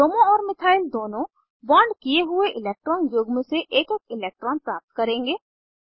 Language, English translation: Hindi, Both Bromo and methyl will get one electron each from the bonded pair of electrons